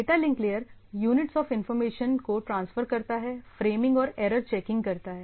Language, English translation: Hindi, Data link is a transfer of units of information, framing and error checking